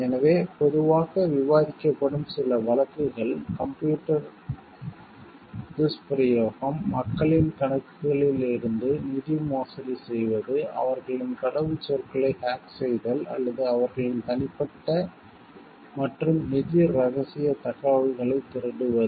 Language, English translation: Tamil, So, some of the commonly discussed cases are computer abuse relates to the embezzlement of funds from peoples accounts, by hacking their passwords or stealing their private and financial confidential information